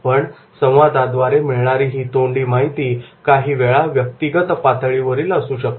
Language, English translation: Marathi, But the verbal information, it can be sometimes at the individual level